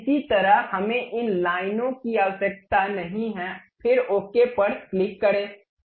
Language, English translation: Hindi, Similarly, we do not really require these lines, then click ok